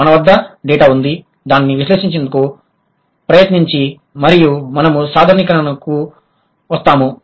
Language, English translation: Telugu, We have the data, we'll try to do the analysis and we'll come up with the generalization